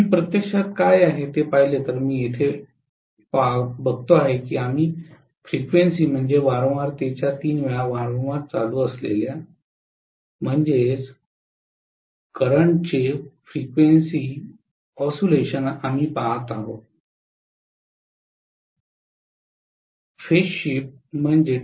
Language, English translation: Marathi, Let me look at it here if I actually look at what is, see we are essentially looking at the oscillation of the current at three times the frequency